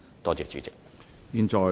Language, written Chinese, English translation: Cantonese, 多謝主席。, President thank you